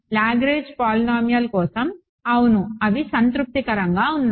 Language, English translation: Telugu, For a Lagrange polynomial, yes, they are satisfying